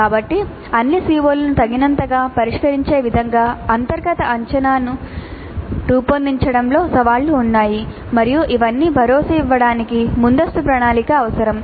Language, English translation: Telugu, So there are challenges in designing the internal assessment in such a way that all the COs are addressed adequately and ensuring all these requires considerable planning upfront